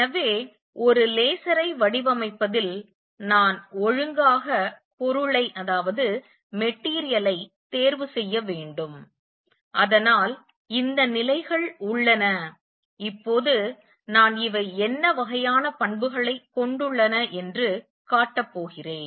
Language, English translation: Tamil, So, in designing a laser, I have to choose material properly, so that there are these levels and now I going to show you what kind of property is these should have